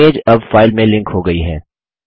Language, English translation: Hindi, The picture is now linked to the file